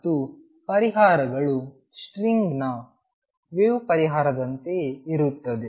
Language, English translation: Kannada, And the solutions exactly like the wave solution for a string